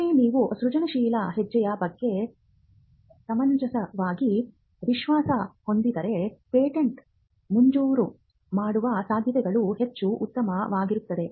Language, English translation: Kannada, Because once you are reasonably confident about the inventive step, then the chances of the patent being granted other things being satisfied are much better